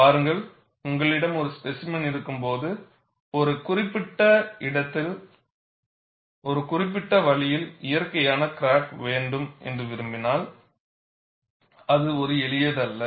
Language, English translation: Tamil, See, when you have a specimen and you want to have a natural crack at a particular location, at a particular way, it is not a simple task